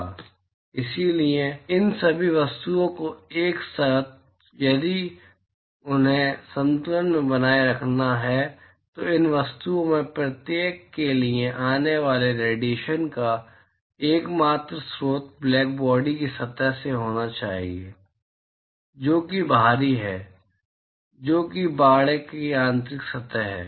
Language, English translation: Hindi, And therefore, all of these objects together if they have to be maintained at equilibrium then the only source of irradiation that comes to each of these objects have to be from the blackbody surface which is outside, which is the inside surface of the enclosure